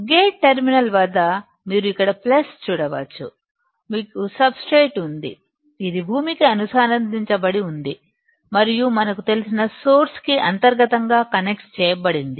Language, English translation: Telugu, You can see here plus at gate terminal; you have substrate, which is connected to the ground or connected to the ground and also internally connected to the source that we know